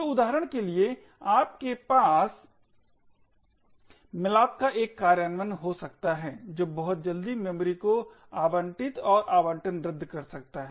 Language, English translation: Hindi, So, for instance you may have one implementation of malloc which very quickly can allocate and deallocate memory